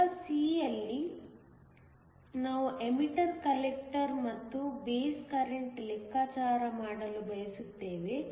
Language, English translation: Kannada, In part c, we want to calculate the emitter, collector and base currents